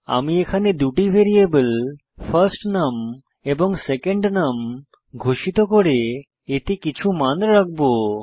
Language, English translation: Bengali, Here I am declaring two variables firstNum and secondNum and I am assigning some values to them